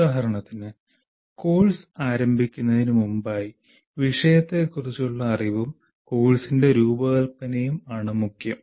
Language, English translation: Malayalam, Prior to the beginning of the course, the knowledge of subject matter and design of the course matter